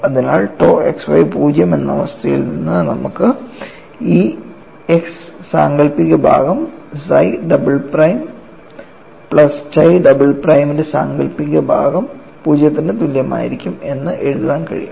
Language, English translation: Malayalam, So, from the condition tau xy equal to 0, you are able to write down this x imaginary part psi double prime plus imaginary part of chi double prime should be 0 and we define capital Y in this fashion and this will turn out nothing but imaginary part of Y